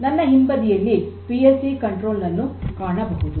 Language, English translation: Kannada, So, on my back is basically the PLC controller